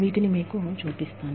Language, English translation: Telugu, And, let me, just show you these